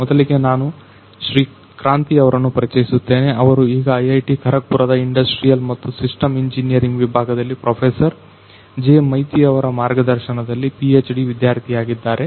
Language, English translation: Kannada, Kranti who is currently the PhD student in the Department of Industrial and Systems Engineering at IIT Kharagpur under the supervision of Professor J Maiti